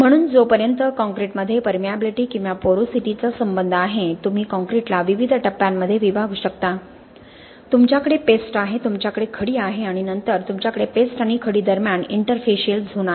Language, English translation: Marathi, So as far as permeability or porosity is concerned in concrete, you can divide concrete into various phases, you have the paste, you have the aggregate phase and then you have the interfacial zone between the paste and the aggregate, okay